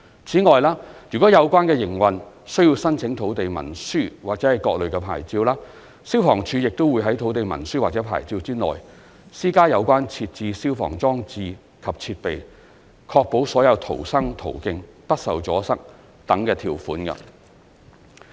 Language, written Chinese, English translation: Cantonese, 此外，如有關營運需要申請土地文書或各類牌照，消防處亦會於土地文書或牌照內，施加有關設置消防裝置及設備、確保所有逃生途徑不受阻塞等條件。, Moreover if the relevant operations require applications for land instruments or various types of licences the Fire Services Department will also impose in the land instruments or licence requirements of providing fire services installations and equipment ensuring that all means of escape from the venue are kept free from obstruction etc